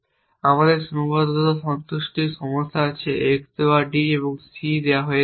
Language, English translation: Bengali, We have constraint satisfaction problems given x given d and given c essentially